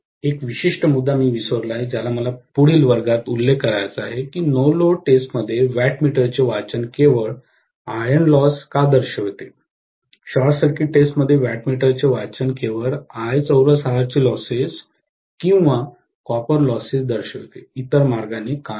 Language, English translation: Marathi, One particular point I had forgotten which I have to mention in the next class as to why the wattmeter reading in no load test represents only iron losses, why the wattmeter reading in the short circuit test represents only I square R losses or copper losses, why not the other way around, okay